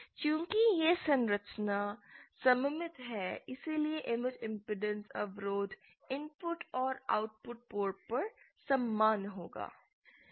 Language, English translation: Hindi, since this structure is symmetric the image impedances will be the same on the input and the output port